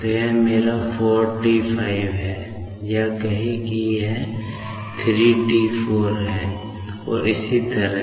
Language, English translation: Hindi, So, this is my 45T or say this is 34T , and so on